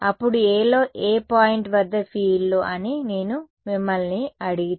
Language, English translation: Telugu, Then, if I ask you what are the fields at any point on A